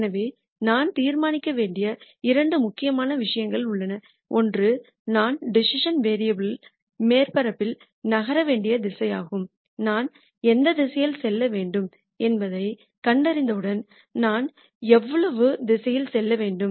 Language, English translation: Tamil, So, there are two important things that I need to decide, one is the direction in which I should move in the decision variable surface and once I figure out which direction I should move in how much should I move in the direction